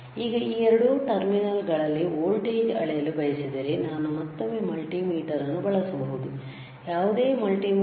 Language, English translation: Kannada, If I want to measure what is the voltage across these two terminal, I can again use a multimeter, all right any multimeter